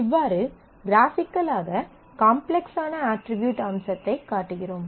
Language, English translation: Tamil, So, this is how graphically we show that how complex attributes feature